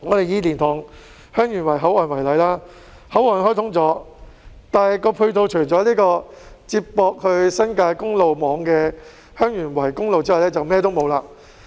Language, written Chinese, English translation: Cantonese, 以蓮塘/香園圍口岸為例，雖然口岸開通了，但配套方面除了接駁往新界公路網的香園圍公路外，便甚麼也沒有。, Take the LiantangHeung Yuen Wai Boundary Control Point as an example . Despite its opening there are no supporting facilities except for the Heung Yuen Wai Highway which connects to the highway network in the New Territories